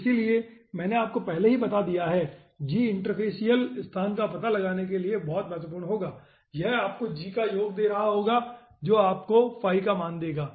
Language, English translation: Hindi, so i have already told you g will be important for finding out the interfacial location and it will be giving you summation of g, will be giving you the value of phi